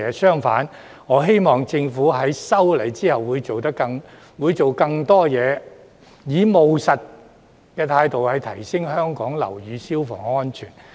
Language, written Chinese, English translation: Cantonese, 相反，我希望政府在修例後會做得更多，以務實的態度提升香港樓宇消防安全。, On the contrary I hope that the Government will do more after the passage of the legislative amendments and enhance the fire safety of buildings in Hong Kong in a pragmatic manner